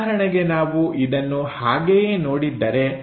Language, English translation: Kannada, So, if we are looking at it